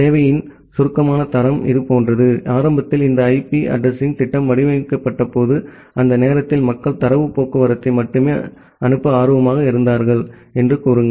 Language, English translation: Tamil, In brief quality of service is something like that, say initially when this IP addressing scheme was designed during that time people was only interested to transmit data traffic